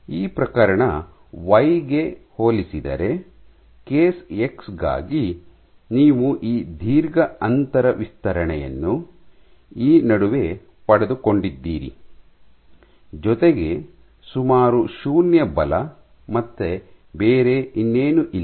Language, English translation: Kannada, So, let me draw another case, compared to this case y for case x you got this long gap extension in between, with almost 0 forces and nothing else